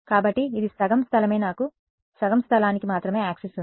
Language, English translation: Telugu, So, it is a half space right I have access only to half the space